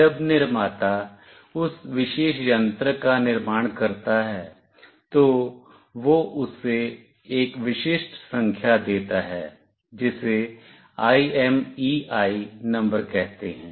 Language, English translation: Hindi, When the manufacturer builds that particular device, it gives a unique number to it that is called IMEI number